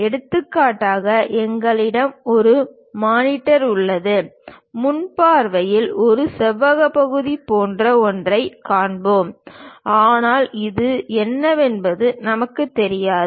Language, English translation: Tamil, For example, we have a monitor, at front view we will see something like a rectangular portion; but inside what it is there we do not know